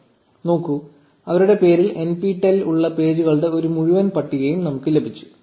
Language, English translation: Malayalam, So, see we got a whole list of pages with nptel in their name